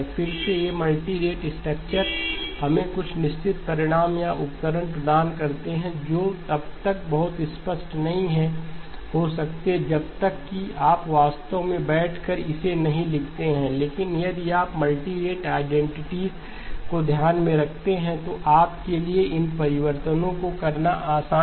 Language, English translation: Hindi, Again these multi rate structures do give us certain results or tools, which may not be very obvious unless you actually sit down and write it but if you are able to keep the multi rate identities in mind, then it is easy for you to do these changes okay